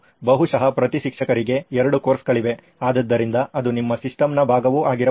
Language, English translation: Kannada, Maybe there is two courses per teacher, so that could also be part of your system